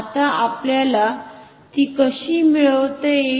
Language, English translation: Marathi, Now, how can we achieve this